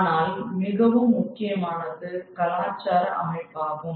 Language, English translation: Tamil, But very important is culture, you know, the cultural system